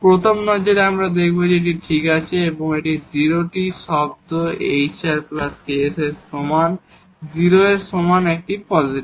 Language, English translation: Bengali, At a first glance, we will see that this ok, this is a positive greater than equal to 0 term hr plus ks is equal to 0